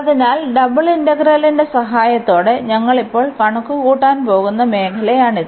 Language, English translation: Malayalam, So, this is the area we are going to compute now with the help of double integral